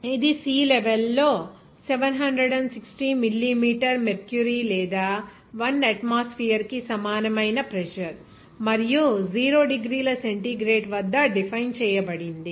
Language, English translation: Telugu, It is defined as the pressure that is equivalent to 760 millimeter mercury or 1 atmosphere at sea level and at 0 degrees centigrade